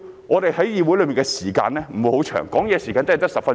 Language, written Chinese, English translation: Cantonese, 我們在議會的時間不是太多，發言時間只有10分鐘。, These remarks are merely meant to We do not have much time in the Council for we have only 10 minutes to speak